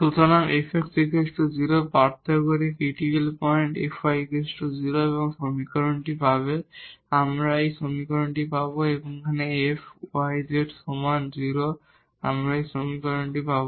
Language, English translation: Bengali, So, the critical points by differentiating F x is equal to 0 we will get this equation F y is equal to 0, we will get this equation and F y z is equal to 0 we will get this equation